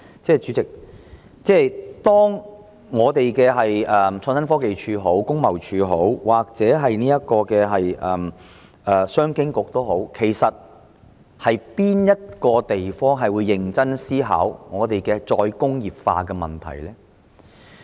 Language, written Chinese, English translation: Cantonese, 主席，無論是創新科技署、工貿署或商務及經濟發展局，其實哪個部門會認真思考再工業化的問題呢？, Chairman be it ITC TID or the Commerce and Economic Development Bureau which one of them will actually give serious thoughts to re - industrialization?